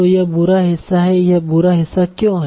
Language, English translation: Hindi, So this is the bad part